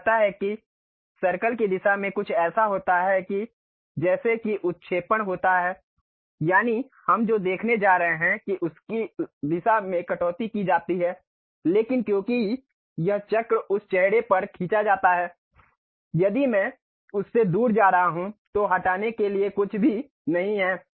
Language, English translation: Hindi, It says that in the circle direction there is something like protrusion happen, that is, the direction of cut what we are going to really look at, but because this circle is drawn on that face if I am going away from that there is nothing to remove